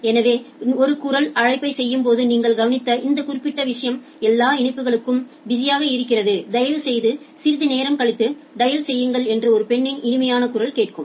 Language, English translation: Tamil, So, this particular thing possibly you have observed when making a voice call, sometime you have heard that a nice voice from a lady that all lines are busy please dial after some time